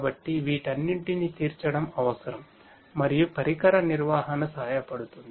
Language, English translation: Telugu, So, catering to all of these is what is required and that is where device management is helpful